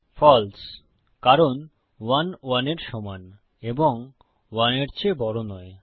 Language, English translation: Bengali, False, because 1 is equal to 1 and not greater than 1